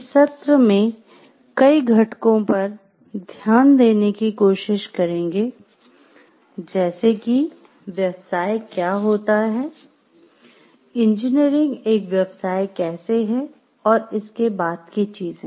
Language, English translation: Hindi, In this session we will try to look into the factor, what is the profession, how engineering is a profession and things thereafter